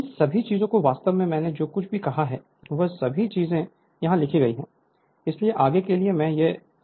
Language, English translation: Hindi, So, all these things actually whatever I said all these things are written here so, not for not further I am explaining this right